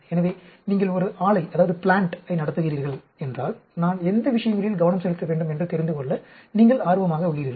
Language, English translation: Tamil, So, if you are running a plant, you are interested to know, which ones I should focus on